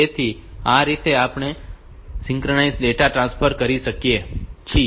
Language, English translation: Gujarati, So, this way we can have this synchronous data transfer